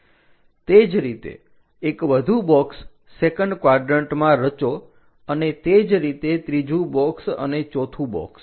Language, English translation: Gujarati, Similarly, construct one more box in the second quadrant and similarly, a 3rd box and a 4th box